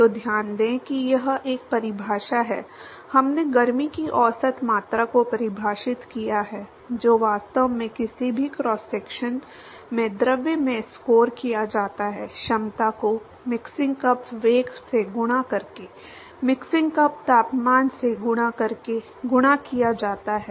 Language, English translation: Hindi, So, note that it is a definition, we defined the average amount of heat that is actually scored in the fluid at any cross section, is given by the capacity multiplied by the mixing cup velocity, multiplied by the mixing cup temperature, multiplied by the cross sectional area